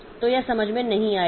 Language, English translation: Hindi, So, it will not understand that